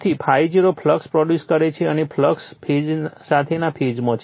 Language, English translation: Gujarati, Therefore, I0 produces the flux and in the phase with the flux